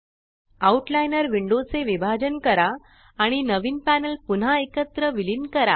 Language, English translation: Marathi, Now, try to divide the Outliner window vertically and merge the new panels back together again